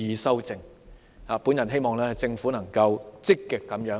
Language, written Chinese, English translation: Cantonese, 我希望政府能夠積極、正面地面對問題。, I hope the Government can face the problem proactively and squarely